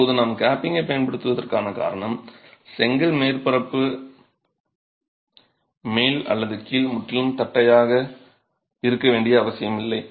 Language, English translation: Tamil, Now, the reason why we use capping is the brick surface at the top or the bottom need not necessarily be completely flat